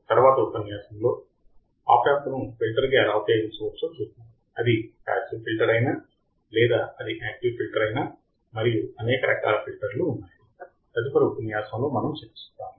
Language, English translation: Telugu, And then in the next class, in the next lecture, we will see how the opamp can be used as a filter, whether it is a passive filter,or it is an active filter and there are several type of filter that we will be discussing in the next lecture